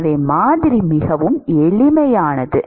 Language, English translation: Tamil, So, the model is very simple